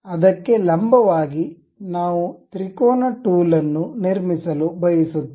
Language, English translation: Kannada, So, here we want to construct a triangular tool